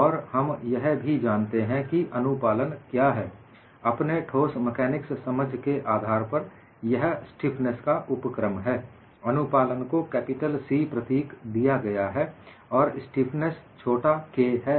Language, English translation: Hindi, And we also know what is compliance, from your solid mechanics understanding; it is the inverse of stiffness, and compliance is given by the symbol capital C, and the stiffness is small k